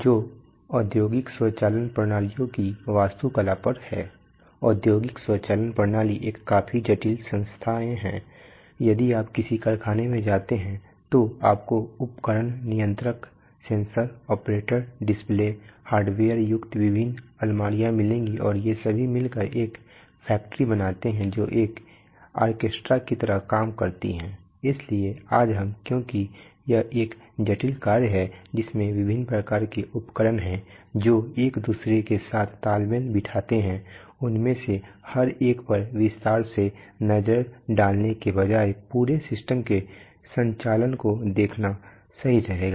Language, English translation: Hindi, Today we are going to have lecture lesson 2 which is on, Which is on architecture of industrial automation systems, industrial automation systems as a whole are quite complex entities, if you go to a factory you will find a bewildering array of equipment controller, sensors, operator displays, various cabinets containing hardware so all these together make a factory work like an orchestra, so today we are going to since it is a since it is a complex operation with various kinds of equipment which harmonized themselves with one another before we take, take a detail look at each one of them it is useful to look at the, look at the operation of the whole system and see how the various parts relate to each other